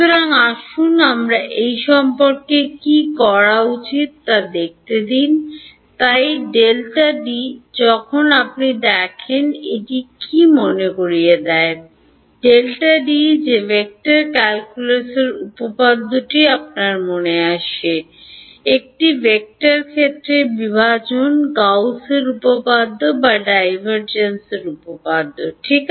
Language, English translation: Bengali, So, let us see what should be do about this, so del dot D; when you see del dot D what is it remind you of in which theorem of vector calculus comes to your mind, divergence of a vector field; Gauss’s theorem or divergence theorem right